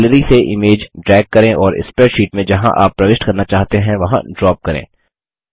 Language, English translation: Hindi, Drag the image from the Gallery and drop it into the spreadsheet where you want to insert it